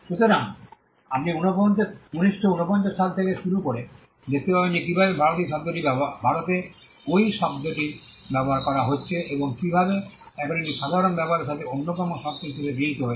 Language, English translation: Bengali, So, you can see starting from 1949 onwards how till 2016 how the term has been used in India, and how it has now been accepted as one of one of the terms with common use